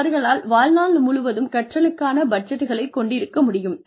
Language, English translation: Tamil, They could have, lifelong learning budgets